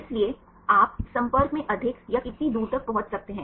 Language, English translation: Hindi, So, you can reach more or how far we can in contact right